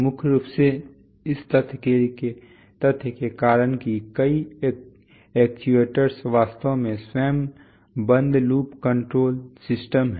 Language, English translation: Hindi, Mainly because of the fact that, several actuators are actually closed loop control systems themselves